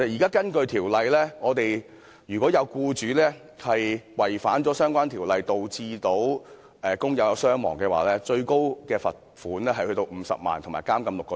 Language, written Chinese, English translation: Cantonese, 根據現時的條例規定，如果有僱主違反相關條例，導致工友傷亡，最高罰款可達50萬元及監禁6個月。, Under the current provisions in law an employer who acts against the relevant legislation and hence causes casualties of workers is liable to a maximum penalty of a fine at 500,000 and six months imprisonment